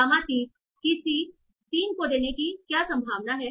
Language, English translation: Hindi, What is the probability that gamma 3 is giving to C 3